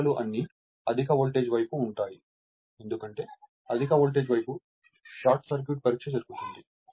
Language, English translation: Telugu, These values all are referred to high voltage side because short circuit test is performed on the high voltage side right